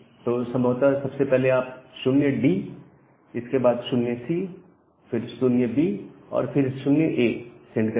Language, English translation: Hindi, So, you will first say and possibly 0D, then 0C, then 0B, then 0A